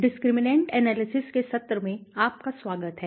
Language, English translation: Hindi, Welcome everyone to the session of discriminant Analysis